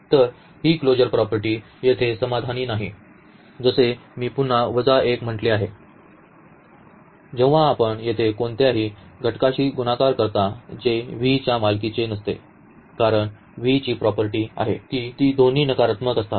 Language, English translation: Marathi, So, here this closure property is not satisfied like here I have stated again the minus 1 when you multiply to any element here that will not belong to V because the V has the property that both are non negative